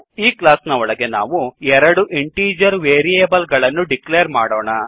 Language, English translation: Kannada, Inside the class we will declare two integer variables